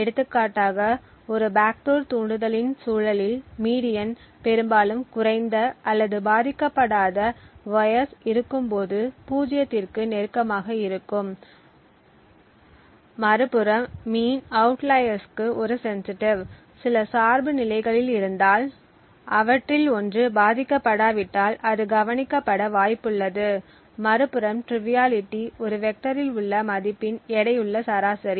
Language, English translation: Tamil, For example the median in the context of a backdoor triggers is often close to zero when low or unaffecting wires are present, the mean on the other hand is sensitive to outliers if there are few dependencies and one of them is unaffecting it is likely to get noticed, a triviality on the other hand is a weighted average of the values in the vector